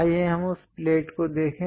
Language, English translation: Hindi, Let us look at that plate